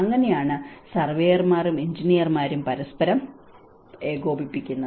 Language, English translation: Malayalam, So, this is how the surveyor and the engineers will coordinate with each other